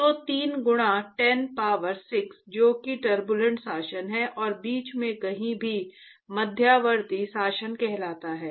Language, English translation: Hindi, So, typically 3 into 10 power 6, that is Turbulent regime and anywhere in between is called intermediate regime